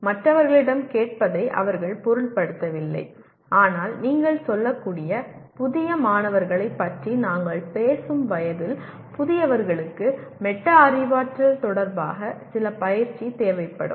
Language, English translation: Tamil, They do not mind asking other people but at the time of in the age group that we are talking about the novice students you can say, novices will require some coaching with respect to metacognition